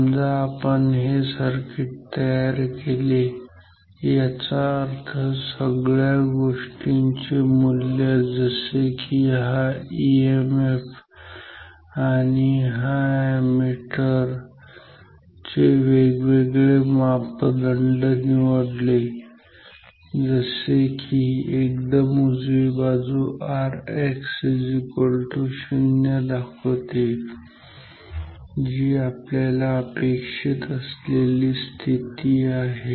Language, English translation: Marathi, Suppose I have made this circuit; that means, I have chosen this value of say everything this emf the different parameters of this ammeter such that the right side the extreme right side indicates R X equal to 0 which is a desirable condition